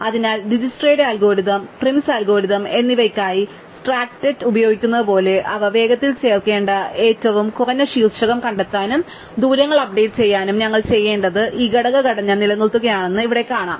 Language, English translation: Malayalam, So, we will find just like we can use the heap for Dijkstra's algorithms and Prim’s algorithms to find them minimum vertex to be added quicker and to update the distances, here we will find that what we need to do is maintain this component structure